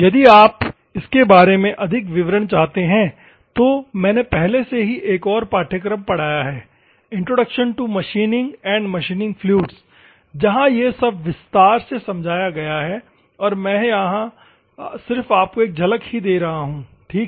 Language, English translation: Hindi, If at all you want more details about this one, I have already taught another course, introduction to machining and machining fluids, where this also is explained and I am just giving glimpse here ok